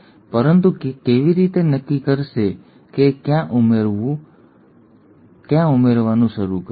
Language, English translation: Gujarati, But how will it decide where to start adding